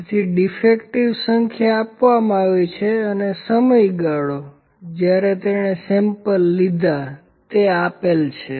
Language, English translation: Gujarati, So, number defectives are given and the period is given when he took the sample